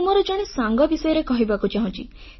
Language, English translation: Odia, I want to tell you about a friend of mine